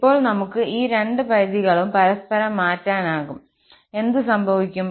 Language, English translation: Malayalam, And now, we can interchange these two limits and what will happen